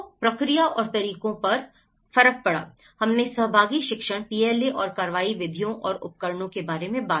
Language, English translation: Hindi, So, coming to the process and methods; we talked about the participatory learning PLA and action methods and tools